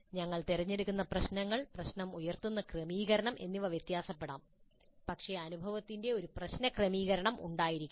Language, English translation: Malayalam, Because the kind of problems that we choose, the kind of setting in which the problem is posed could differ but the experience must have a problem orientation